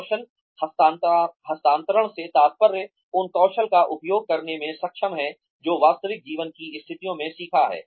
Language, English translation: Hindi, Skills transfer refers to being, able to use the skills, that one has learnt, in real life situations